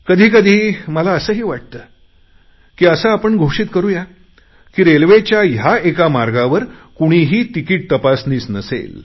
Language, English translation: Marathi, Sometimes I feel that we should publicly announce that today on this route of the railways there will be no ticket checker